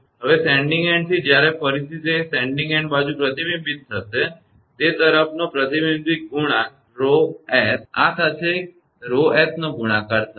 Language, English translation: Gujarati, Now, from the sending end when again it will be reflected back sending end side reflection coefficient rho s, with this rho s will be multiplied